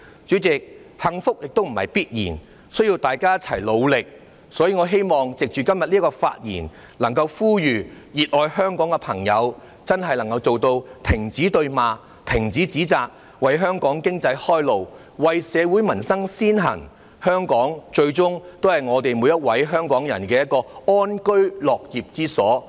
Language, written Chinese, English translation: Cantonese, 主席，幸福不是必然的，需要大家一同努力，所以，我希望藉着今天的發言，呼籲熱愛香港的朋友真的做到停止對罵，停止指責，為香港經濟開路，為社會民生先行，香港最終也是每位香港人的安居樂業之所。, President happiness cannot be taken for granted and all parties need to work hard for it together . For this reason through my speech today I call on people who love Hong Kong dearly to really put an end to the mutual verbal attacks or accusations so as to pave the way for Hong Kong economy and give priority to society and peoples livelihood instead . Ultimately Hong Kong is the place where each Hong Kong resident can live in peace and work with contentment